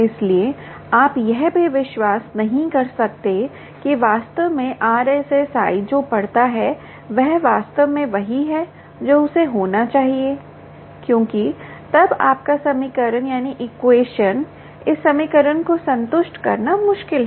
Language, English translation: Hindi, so you cannot even believe that, indeed, that ah, the r s s i that it reads is exactly what it should, because then your equation, this satisfying this equation, becomes difficult